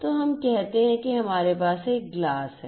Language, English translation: Hindi, So, let us say that we have a glass like this, we have a glass right